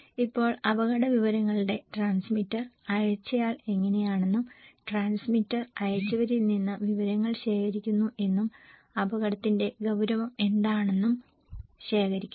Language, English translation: Malayalam, Now, the transmitter of risk information, that how the sender is that the transmitter is collecting the informations from the senders and the perceived seriousness of the risk okay